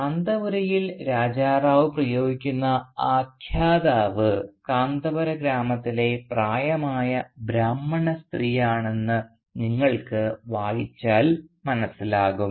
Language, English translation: Malayalam, If you read the novel you will see that the narrator that Raja Rao uses in Kanthapura is an elderly Brahmin lady of the village Kanthapura